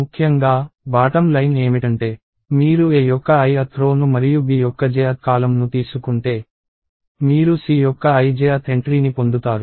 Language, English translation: Telugu, So, essentially, the bottom line is – if you take the i th row of A and the j th column of B, you get the ij th entry of C